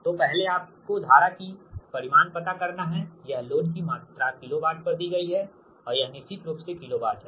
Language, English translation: Hindi, so first you find out that magnitude of the current, it is load, is given at kilo watt and this is kilo volt of course